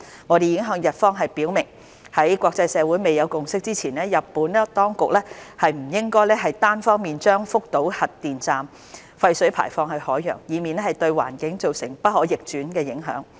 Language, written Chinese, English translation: Cantonese, 我們已向日方表明，在國際社會未有共識前，日本當局不應單方面將福島核電站廢水排放至海洋，以免對環境造成不可逆轉的影響。, We have relayed clearly to the Japanese authorities that they should not discharge the nuclear wastewater into the ocean unilaterally without the consensus of the international community so as to avoid bringing about irreversible impacts on the environment